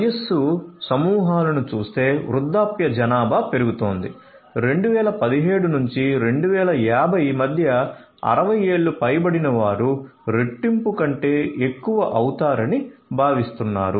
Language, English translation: Telugu, Looking at the age groups populations are growing older, between 2017 to 2050; 2017 to 2050, the persons aged 60 years over are expected to increase more than double